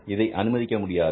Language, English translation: Tamil, So that is not allowed